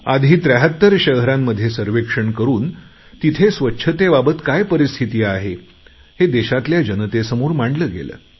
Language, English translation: Marathi, Earlier, the cleanliness status was presented before the countrymen after conducting a survey of 73 cities